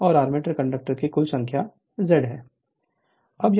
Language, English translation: Hindi, And Z total number of armature conductors right